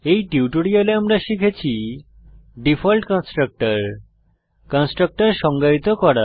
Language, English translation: Bengali, In this tutorial we will learn About the default constructor